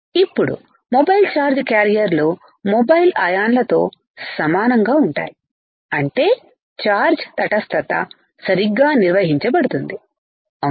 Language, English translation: Telugu, Now, for mobile charge carrier is equal to the in mobile ions so; that means, our charge neutrality will be maintained correct